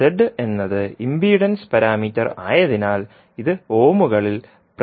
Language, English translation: Malayalam, So, since the Z is impedance parameter, it will be represented in ohms